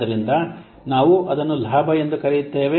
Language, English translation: Kannada, So that we call as the benefit